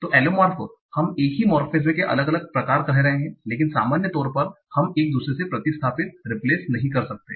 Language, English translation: Hindi, So, so allomorphs, we are saying variants of the same morphine, but in general they cannot be replaced by one another